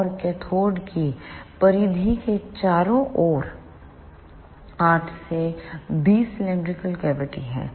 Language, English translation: Hindi, And there are 8 to 20 cylindrical cavities all around the circumference of the cathode